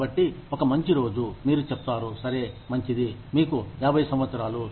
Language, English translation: Telugu, So, one fine day, you say, okay, fine, you are 50 years old